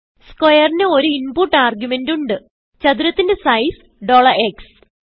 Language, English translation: Malayalam, square takes one input argument, $x to set the size of the square